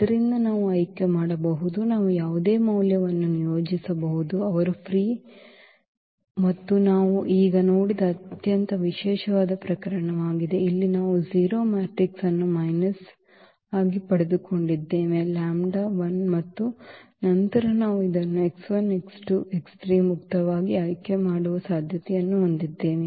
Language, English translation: Kannada, So, we can choose, we can assign any value to x 1 x 2 x 3 they are free here and that is a very special case which we have just seen now, that we got the 0 matrix here as A minus lambda I and then we have the possibility of choosing this x 1 x 2 x 3 freely